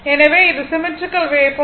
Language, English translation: Tamil, So, this is symmetrical wave form